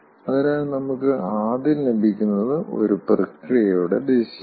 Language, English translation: Malayalam, so, first thing, what we get, direction of a process